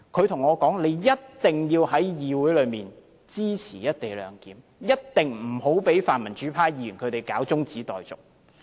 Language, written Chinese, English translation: Cantonese, 他跟我說，一定要在議會裏支持"一地兩檢"；一定不要讓泛民主派議員提出中止待續。, He said that I must support the co - location arrangement in the legislature and thwart pan - democratic Members attempt to move an adjournment motion